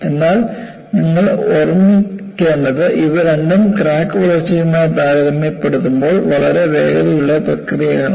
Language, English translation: Malayalam, But you will have to keep in mind, both are very fast processes in comparison to crack growth